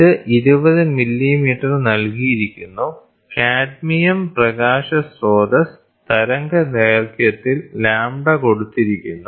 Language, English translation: Malayalam, So, this is given 20 millimeters, the wavelength of the cadmium light source lambda is given